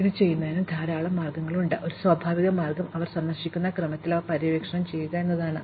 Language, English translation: Malayalam, There are many ways to do this, but one natural way is to explore them in the order in which they were visited